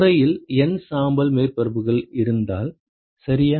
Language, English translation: Tamil, If you have N gray surfaces in enclosure, ok